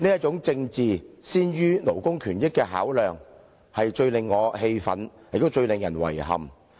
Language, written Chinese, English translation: Cantonese, 這種政治先於勞工權益的考量，最令我氣憤，亦最令人遺憾。, The decision of putting political interests before labour rights makes me furious and that is most regrettable